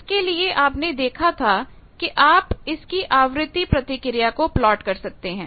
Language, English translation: Hindi, You plot as we have seen that, you can plot the frequency response